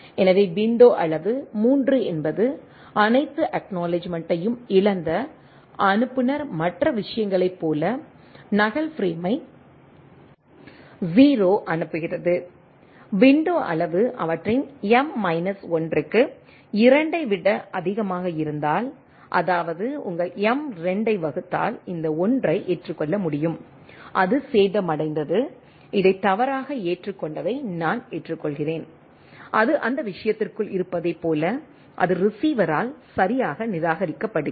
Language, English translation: Tamil, So, size will be 2 to the power 2 by 2 2 so window size is 3 an all acknowledgement as lost sender sends duplicate frame 0 right like in other case, also if it is window size is greater than 2 to their m minus 1; that means, to your m divided by 2 then, I can receive accept this 1 though, it was damaged, I accept this erroneously accepted, where as if it is within that thing, that it is correctly discarded by the receiver